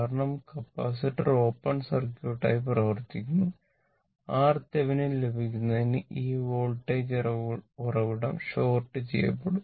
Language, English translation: Malayalam, Because, capacitor is acting as open circuit right and this for getting R Thevenin, this voltage source will be shorted right